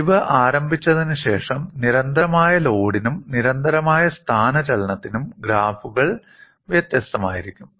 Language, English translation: Malayalam, And after the fracture initiation, the graphs would be different for constant load and constant displacement